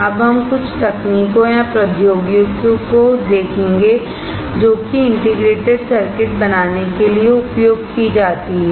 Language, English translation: Hindi, Now we will see few techniques or technologies that are used to fabricate integrated circuits